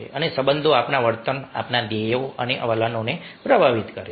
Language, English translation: Gujarati, a relationships influence our behavior, our goals and attitudes